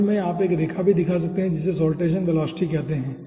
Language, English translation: Hindi, okay, in this curves you can also shown one line which is called saltation velocity